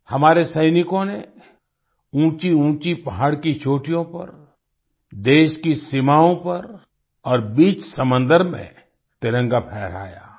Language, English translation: Hindi, Our soldiers hoisted the tricolor on the peaks of high mountains, on the borders of the country, and in the middle of the sea